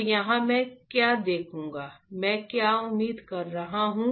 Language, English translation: Hindi, So, here what I will see, what I what we are expecting is